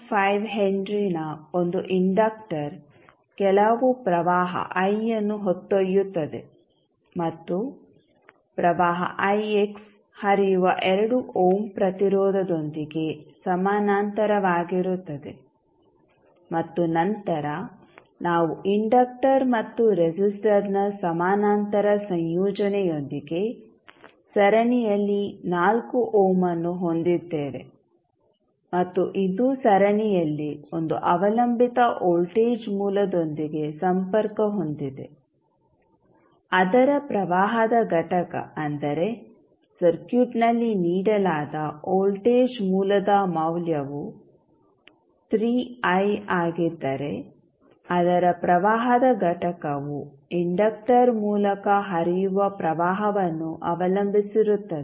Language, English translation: Kannada, 5 henry is carrying some current I and in parallel with we have a 2 ohm resistance where the current I x is flowing an then we have 4 ohm in series with the parallel combination of inductor and resistor and which is connected in series with one dependent voltage source, whose current component that is if the voltage source value given in the circuit is 3I the current component is depending upon the current flowing through the inductor